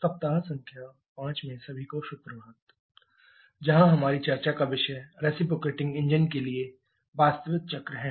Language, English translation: Hindi, Good morning everyone into the week number 5 where our topic of discussion is real cycles for reciprocating engines